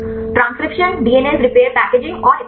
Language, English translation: Hindi, Transcription, DNS repair packaging and so on